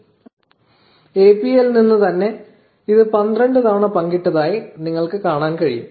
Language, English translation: Malayalam, So, from the API itself, you can see that it has been shared 12 times